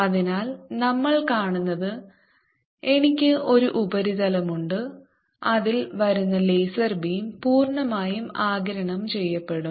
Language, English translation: Malayalam, so what we are seeing is i have a surface on which the laser beam which is coming, let's, absorbed completely